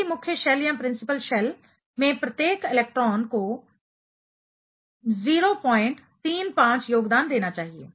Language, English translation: Hindi, Each electron in the same principal shell should contribute 0